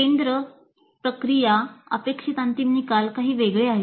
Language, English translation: Marathi, The focus, the process, the end results expected are somewhat different